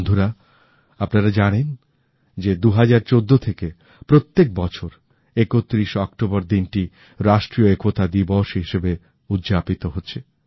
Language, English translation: Bengali, Friends, as you know that 31st October every year since 2014 has been celebrated as 'National Unity Day'